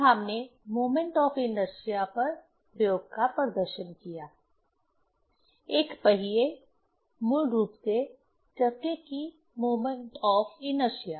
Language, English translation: Hindi, Then, we demonstrated experiment on moment of inertia; moment of inertia of a wheel, basically flywheel